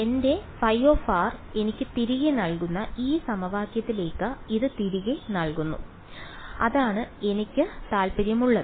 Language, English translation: Malayalam, Put it back into this equation that gives me back my phi of r which is what I am interested in right